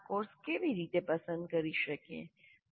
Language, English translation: Gujarati, So how do we choose these courses